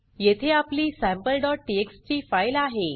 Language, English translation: Marathi, Here is our sample.txt file